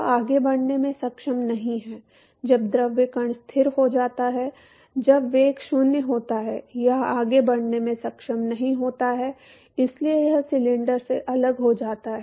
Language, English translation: Hindi, It is not able to move further when the fluid particle comes to rest when the velocity is 0, it is not able to move further anymore and so, it separates out from the cylinder